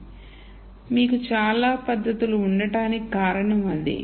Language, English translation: Telugu, So, that is the reason why you have so many techniques